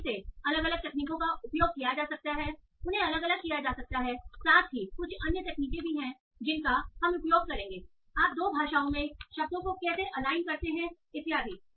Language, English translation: Hindi, So again, so different techniques that we have used can be applied plus there are some other techniques that will be used like how do you align words in two languages and so on